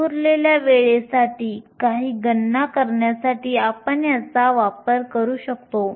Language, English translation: Marathi, We will use this to do some calculations for the scattering time